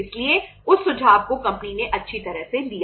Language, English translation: Hindi, So that suggestion was well taken by the company